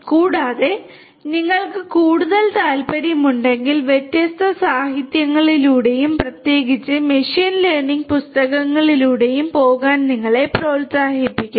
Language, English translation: Malayalam, And, in case you are more interested you know you are encouraged to go through different literature and particularly the machine learning books